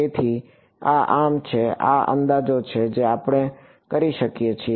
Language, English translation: Gujarati, So, this is so, these are the approximations that we can do